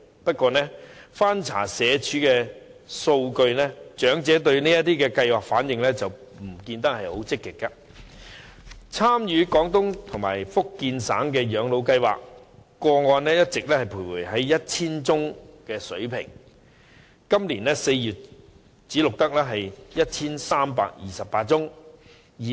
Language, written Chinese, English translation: Cantonese, 不過，翻查社會福利署的數據，我發現長者對有關計劃的反應並不積極，例如參與綜援長者廣東及福建省養老計劃的個案一直徘徊在 1,000 多宗的水平，截至今年4月只錄得 1,328 宗。, But after reviewing the Social Welfare Departments statistics I have found that elderly peoples response to such schemes is not very active . For example the number of participants under the PCSSA Scheme has remained at the level of 1 000 all along and as at April this year merely 1 328 cases were recorded